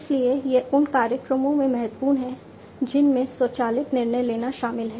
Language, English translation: Hindi, So, it is important in programs, which involve automated decision making